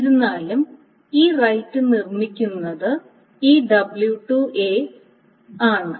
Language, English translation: Malayalam, However, this read is being produced by this W2A